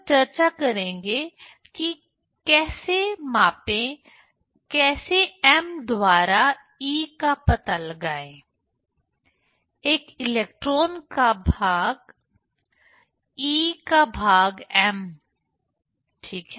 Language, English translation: Hindi, Then we will discuss how to measure, how to find out the e by m; e by m of an electron, ok